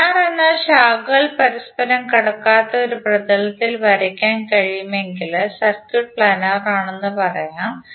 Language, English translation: Malayalam, Planer means the circuit is the planer which can be drawn in a plane with no branches crossing one another